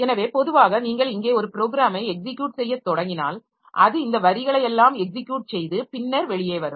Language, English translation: Tamil, So, normally if you start executing a program here, so it executes all these lines and then comes out